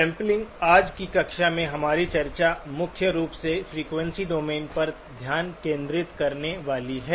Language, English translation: Hindi, Sampling, our discussion in today's class was going to focus primarily on the frequency domain